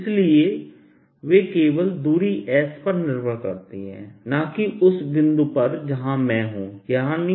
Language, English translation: Hindi, so the depend only on the distance s and not on the point where five year i'm at